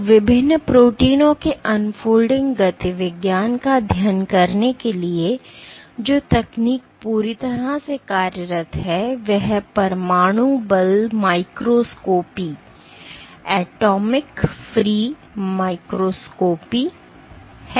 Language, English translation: Hindi, So, one of the techniques which has been employed exhaustively for studying the unfolding dynamics of various proteins is atomic force microscopy